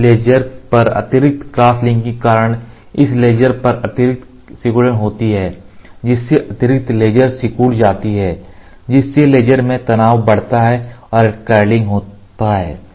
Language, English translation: Hindi, The additional crosslink on this layer caused extra shrinkage additional crosslink on this layer extra shrinkage which increases stress in the layer and cost curling